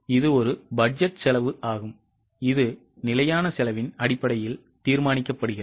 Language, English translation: Tamil, It is a budgeted cost which is determined based on the standard costing